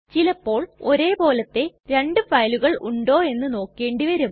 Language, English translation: Malayalam, Sometimes we need to check whether two files are same